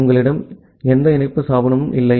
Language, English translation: Tamil, So, you do not have any connection establishment